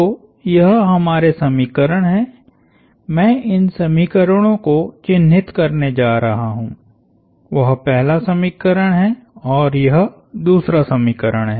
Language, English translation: Hindi, So, this is our, I am going to mark these equations; That is the first equation, this is the second equation